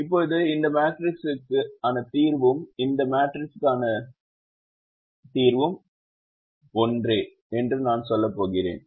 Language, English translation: Tamil, now i am going to say that the solution to this matrix and the solution to this matrix are the same